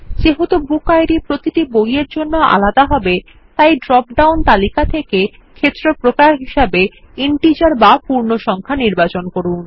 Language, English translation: Bengali, Since the BookId will be a different number for each book, select Integer as the Field Type from the dropdown list